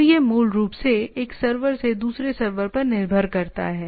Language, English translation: Hindi, So this basically it relays from one server to another